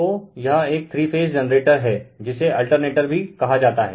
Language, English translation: Hindi, So, this is a three phase generator, sometimes we call it is your what we call it is alternator